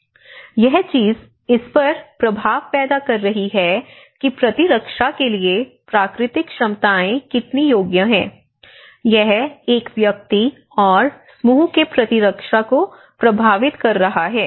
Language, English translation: Hindi, And this is one thing which is actually creating an impact on the abilities how the natural abilities to cope up the immunities, you know it is affecting the immunity of an individual and collectively as a group as well